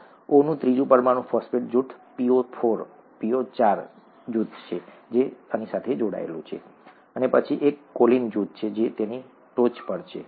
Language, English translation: Gujarati, The third molecule of O is attached to a phosphate group, ‘PO4 ’group, and then there is a choline group that is on top of that, okay